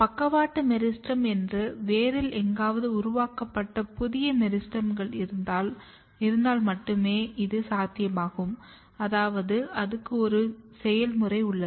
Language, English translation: Tamil, And this is only possible if there is new meristems which has been generated somewhere here in the root which is kind of lateral meristem